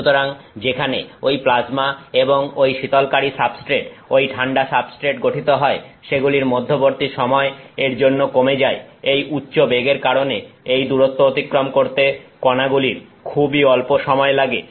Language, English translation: Bengali, So, that again shortens the time between where the plasma is formed and that cooling substrate the cooled substrate, the time taken for particles to traverse this distance is extremely tiny because, of this high velocity